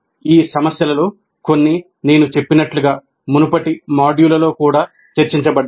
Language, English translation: Telugu, Some of these issues were discussed in earlier modules also, as I mentioned